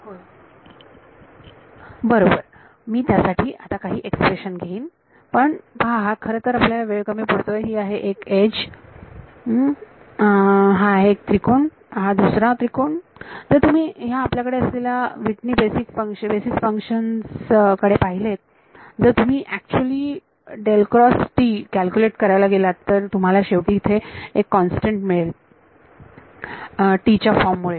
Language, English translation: Marathi, Right I will get some expression for it now if you look at well we are running off time this is one edge this is one triangle and this is another triangle if you look at these Whitney basis functions that we have if you actually go to calculate curl of T, you should do it you will end up getting a constant because of the form of T